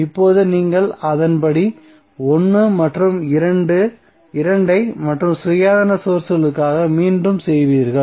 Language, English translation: Tamil, Now you will repeat its step 1 and 2 for both of the, for other independent sources